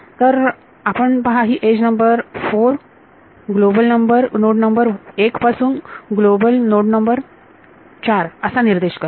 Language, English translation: Marathi, So, you see this edge number 4 is pointing from global node number 1 to global node number ‘4’